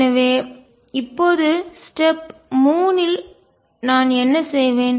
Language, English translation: Tamil, So, what do I do now step 3